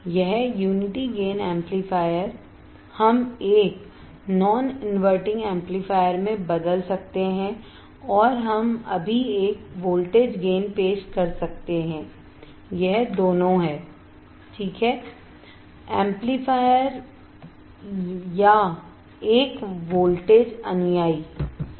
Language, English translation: Hindi, This unity gain amplifier we can convert into a non inverting amplifier right and we can introduce a voltage gain right now this both are (Refer Time: 27:38) amplifier or a voltage follower right